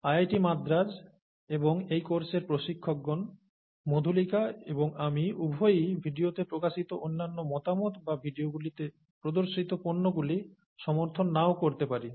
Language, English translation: Bengali, IIT Madras and the instructors of this course, both Madhulika and I, may not endorse the other views that are expressed in the video or the products that are featured in the videos